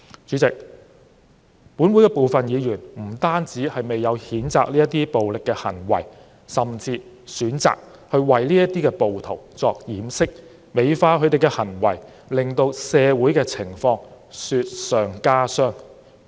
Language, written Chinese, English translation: Cantonese, 主席，本會部分議員不單未有譴責這些暴力行為，甚至選擇為暴徒掩飾，美化他們的行為，令到社會的情況雪上加霜。, President some Members of this Council not only have not condemned these violent acts but even chosen to cover up for the rioters and beautify their conduct further exacerbating the situation in society